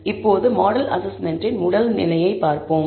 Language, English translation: Tamil, So, let us look at the first level of model assessment